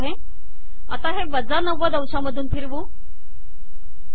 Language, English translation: Marathi, Rotate it by minus 90,